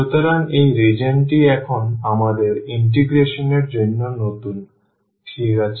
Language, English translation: Bengali, So, this region now is the new one for our integration, ok